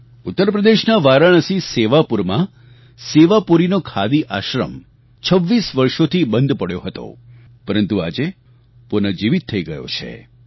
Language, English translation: Gujarati, Sewapuri Khadi Ashram at Varanasi in Uttar Pradesh was lying closed for 26 years but has got a fresh lease of life now